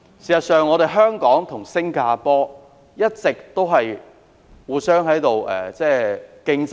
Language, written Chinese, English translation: Cantonese, 事實上，香港與新加坡一直存在相互良性競爭。, In fact there has all along been healthy competition between Hong Kong and Singapore